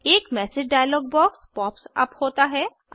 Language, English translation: Hindi, A message dialog box pops up